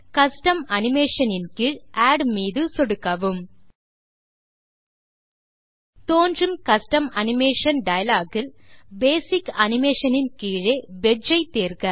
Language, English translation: Tamil, In the Custom Animation dialog box that appears, under Basic Animation, select Wedge